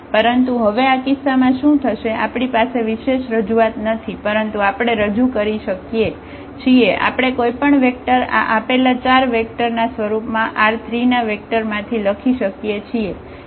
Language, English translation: Gujarati, But what happened now in this case we do not have a unique representation, but we can represented, we can write down any vector from this R 3 in terms of these given four vectors